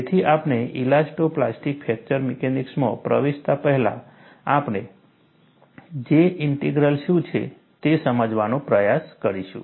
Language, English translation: Gujarati, So, before we get into elasto plastic fracture mechanics, we will try to understand what is J Integral